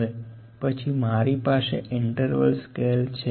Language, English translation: Gujarati, Now, next, I have kind of scale is interval scale